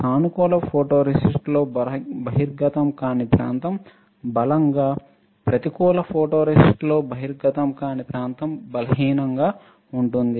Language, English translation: Telugu, In positive photoresist area not exposed stronger, negative photoresist area not exposed will be weaker